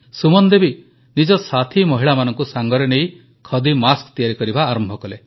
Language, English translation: Odia, Suman ji , alongwith her friends of a self help group started making Khadi masks